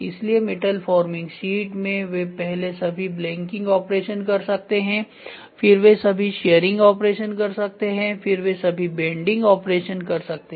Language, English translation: Hindi, So, in metal forming first they might do all blanking operation then they might do all sharing operations, then they might do all bending operations to get whatever it is